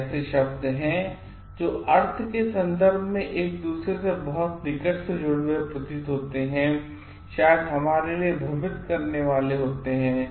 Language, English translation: Hindi, These are terms which appears to be very closely related to each other in terms of meanings and maybe confusing to us